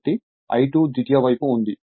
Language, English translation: Telugu, So, I 2 is on the secondary side